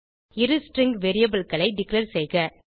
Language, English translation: Tamil, Declare 2 string variables